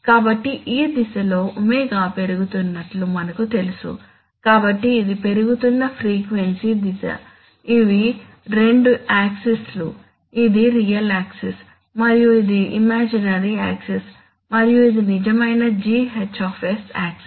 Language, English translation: Telugu, So in this direction as we know Omega is increasing, so this is the increasing frequency direction, these are the two axis, this is the real axis, real, rather this is the imaginary axis and this is the real GH axis okay